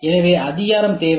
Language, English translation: Tamil, So, need recognition